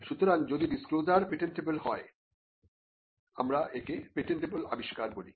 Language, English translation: Bengali, So, if the disclosure is patentable, that is what we call a patentable invention